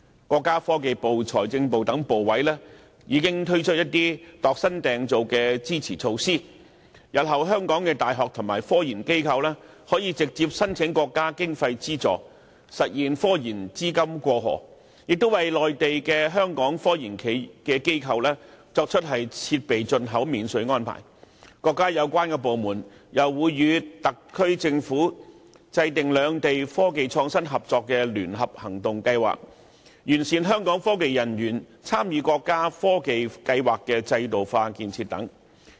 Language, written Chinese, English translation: Cantonese, 國家科技部、財政部等部委已經推出一些專為香港量身訂造的支持措施：香港的大學及科研中心日後可直接申請國家經費資助，實現科研資金"過河"；在內地的香港科技機構可享設備進口免稅安排；國家有關部門還會與特區政府制訂兩地科技創新合作的聯合行動計劃，以及完善香港科研人員參與國家科技計劃制度化建設等。, In the future universities and technological research institutes in Hong Kong can apply directly for national funding meaning that technological research funding will be able to cross the Shenzhen River . Hong Kong technological institutions operating in the Mainland can enjoy customs duty exemption for the import of equipment . The relevant departments of the country will also draw up joint action plans with the SAR Government for cross - boundary cooperation in technology and innovation